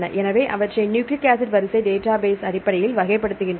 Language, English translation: Tamil, So, they classify the data based on the nucleic acid sequence databases